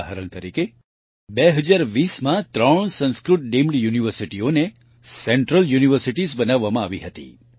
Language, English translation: Gujarati, For example, three Sanskrit Deemed Universities were made Central Universities in 2020